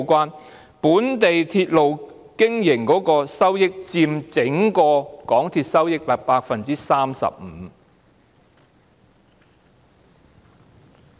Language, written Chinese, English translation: Cantonese, 港鐵經營本地鐵路的收益佔整體收益 35%。, Revenue from operation of local railway accounts for 35 % of MTRCLs overall revenue